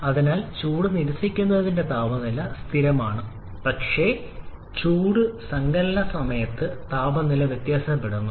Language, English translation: Malayalam, So, the temperature of heat rejection is a constant but the temperature varies during heat addition